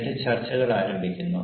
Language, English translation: Malayalam, they will start the discussion